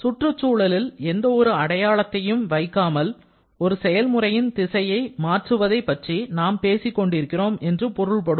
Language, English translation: Tamil, It means we are talking about changing the direction of a process without keeping any mark on the surrounding